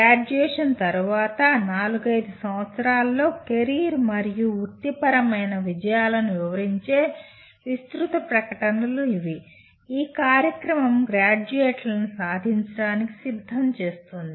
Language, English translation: Telugu, These are broad statements that describe the career and professional accomplishments in four to five years after graduation that the program is preparing the graduates to achieve